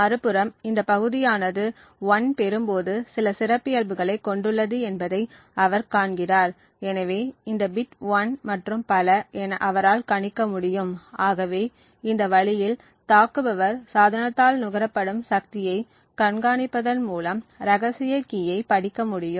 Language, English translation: Tamil, On the other hand he sees that this region is a characteristic when 1 is obtained and therefore he would be able to deduce that this bit is 1 and so on, so in this way just by monitoring the power consumed the attacker would be able to read out the secret key through the power consumed by the device